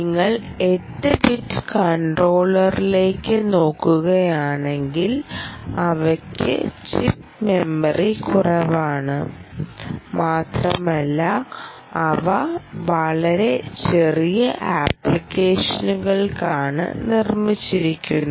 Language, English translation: Malayalam, if you look at eight bit controllers, um, they have less on chip memory, basically, and they are meant for really very specific, small applications